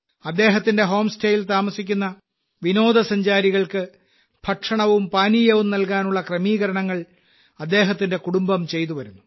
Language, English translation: Malayalam, His family makes arrangements for food and drink for the tourists staying at his place